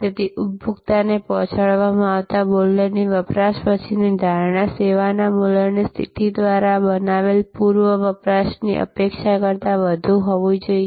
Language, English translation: Gujarati, So, the post consumption, post consumption perception of value delivered to a consumer must be more than the pre consumption expectation created by the value positioning of the service